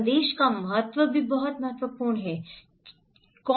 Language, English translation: Hindi, Importance of message is also very important, okay